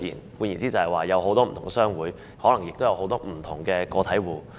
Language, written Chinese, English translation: Cantonese, 換句話說，也就是有很多不同的商會，可能亦有很多不同的個體戶。, In other words there are many different trade associations and there may also be many different individual traders